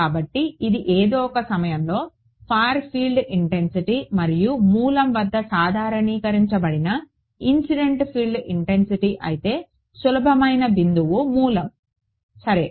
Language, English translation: Telugu, So, this is the far field intensity normalized by the incident field intensity at some point and the easiest point is the origin ok